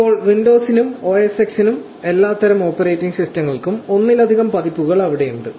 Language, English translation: Malayalam, Now, there are multiple versions here for Windows and for OS X for all kinds of operating system that are there